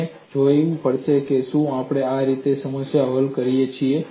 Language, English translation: Gujarati, We have to go and look at; do we solve the problem like this